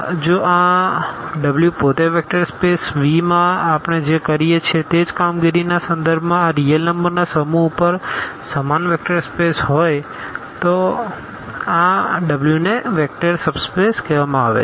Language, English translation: Gujarati, If this W itself is a vector space over the same the set of these real numbers with respect to the same operations what we are done in the vector space V then this W is called a vector subspace